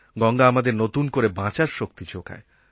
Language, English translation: Bengali, But more than that, Ganga is the giver of life